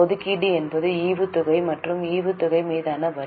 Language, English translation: Tamil, Appropriations is dividend and tax on dividend